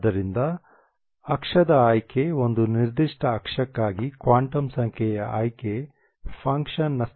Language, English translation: Kannada, So the axis choice the quantum number choice for a given axis determines the the the functions state